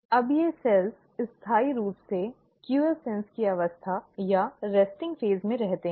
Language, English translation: Hindi, Now these cells perpetually stay in a state of quiescence, or a resting phase